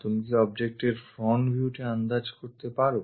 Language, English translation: Bengali, Can you guess the object front view